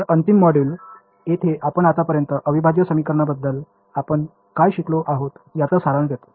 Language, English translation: Marathi, So the final module is where we summarize what you have learnt about integral equations so far